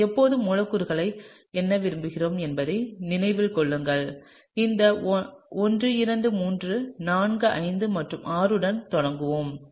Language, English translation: Tamil, And keep in mind we always like to number the molecule so, let’s start with this 1 2 3 4 5 and 6